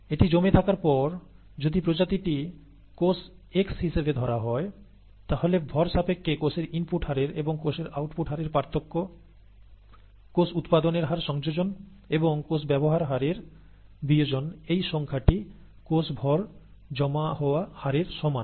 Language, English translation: Bengali, This is an accumulated mass; and if the species happens to be the cells x, then rate of input of cells minus rate of output of cells mass in terms of mass, plus the rate of generation of cells, minus the rate of consumption of cells equals the rate of accumulation of the cell mass